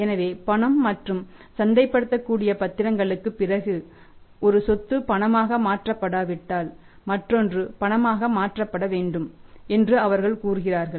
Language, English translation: Tamil, So, they say that after cash and marketable securities if the other asset in the one is not converted into cash other should be converted into cash